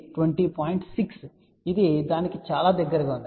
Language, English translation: Telugu, 6 which is very, very close to that